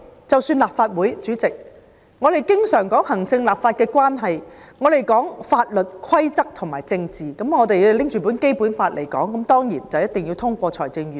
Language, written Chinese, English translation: Cantonese, 主席，立法會經常說行政與立法關係、法律規則和政治，如果我們根據《基本法》行事，那當然一定要通過預算案。, Chairman the Legislative Council often talks about the Executive - Legislature relationship legal principles and politics . If we are to act upon the Basic Law we must then pass the Budget . But there are often unwritten rules for every matter